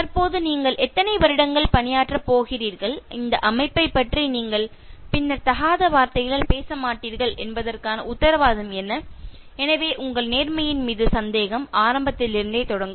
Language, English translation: Tamil, And any number of years you are going to serve in the present one, what is the guarantee that you will not abuse this organization later, so that doubt in your integrity will start from the beginning